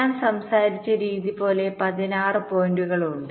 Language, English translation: Malayalam, there are sixteen points, just like the way i talked about